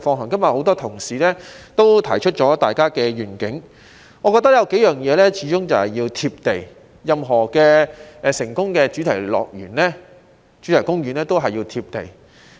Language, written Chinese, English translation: Cantonese, 今天有很多同事提出了各自的願景，我覺得有數項事情始終要"貼地"，任何成功的主題公園也要"貼地"。, Today many Honourable colleagues have expressed their respective visions . In my view there are several things which must be down - to - earth . Any successful theme park must be down - to - earth